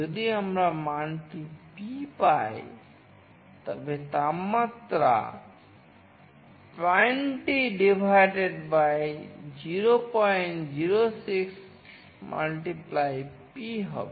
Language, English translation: Bengali, If we receive the value P, then the temperature will be 20 / 0